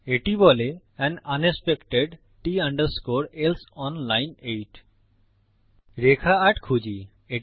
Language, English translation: Bengali, It says an unexpected T else on line 8 Lets find line 8